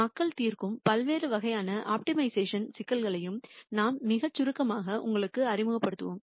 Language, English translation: Tamil, We will also introduce you very very briefly to the various types of optimiza tion problems that people solve